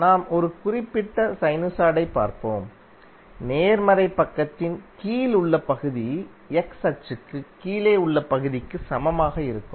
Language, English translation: Tamil, Let us see if you see a particular sinusoid, the area under the positive side would be equal for area below the x axis